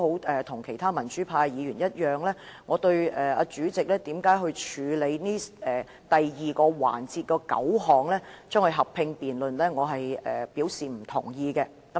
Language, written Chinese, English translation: Cantonese, 正如其他民主派議員一樣，我並不認同主席在第二個環節合併辯論9項附屬法例。, Like other pro - democracy Members I do not agree with the Presidents decision to hold a joint debate on nine items of subsidiary legislation in the second session